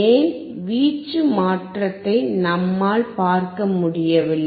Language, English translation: Tamil, Why we were not able to see the change in the amplitude